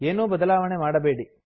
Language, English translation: Kannada, Dont change anything